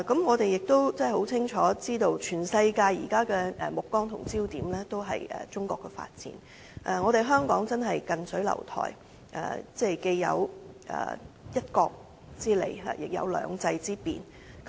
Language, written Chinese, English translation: Cantonese, 我們亦清楚知道，現時全世界的目光也聚焦中國的發展，香港真是近水樓台，既有"一國"之利，亦有"兩制"之便。, We are also well aware that all eyes around the world are focused on the development of China . Hong Kong enjoys an edge under one country two systems